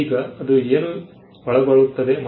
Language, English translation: Kannada, Now, what is it that covers